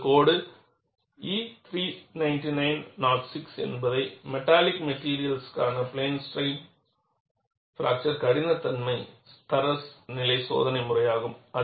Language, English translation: Tamil, And your code E 399 06 is the standard test method for plane strain fracture toughness of metallic materials